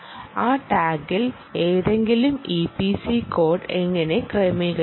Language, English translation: Malayalam, how do you configure any e p c code on that tag